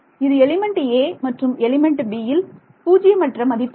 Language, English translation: Tamil, So, this is non zero over element a and element b